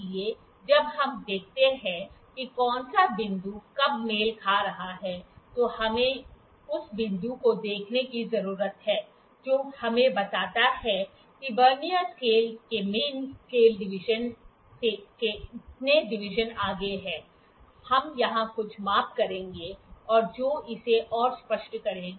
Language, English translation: Hindi, So, when we see that which point is coinciding when, we have to need to see the point that is coinciding that gives us that how many divisions ahead of the main scale division of a Vernier scale is, we will just do certain measurements here and that will make it more clear